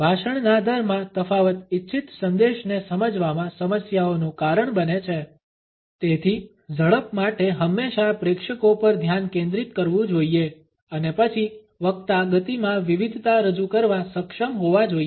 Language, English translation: Gujarati, Difference in speech rate causes problems in understanding the intended message, therefore the speed should always focus on the audience and then the speaker should be able to introduce variations in the speed